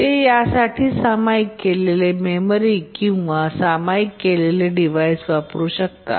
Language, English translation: Marathi, They may use a shared memory for this